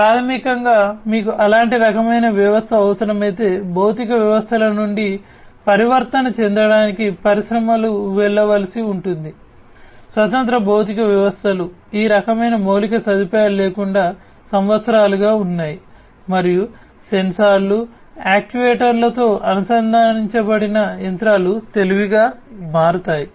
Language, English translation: Telugu, So, basically if you need to have such a kind of system getting some kind of a transformation that the industries will have to go through to transform from the physical systems the standalone physical systems without these kind of infrastructure that has been existing for years, and then transforming into something that is more smart, smarter machines, connected machines, machines with sensors actuators, and so on